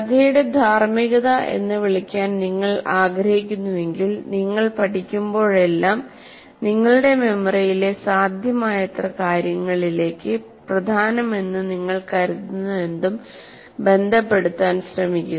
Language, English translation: Malayalam, If you want to call it moral of the story is that whenever you learn, try to associate whatever you learn which you consider important to as many things in your memory as they are in the past